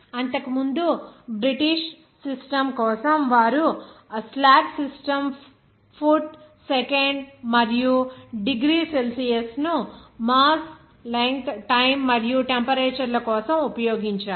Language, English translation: Telugu, For the British system earlier, they have used that slag system foot second and degree Celsius for mass length time and temperature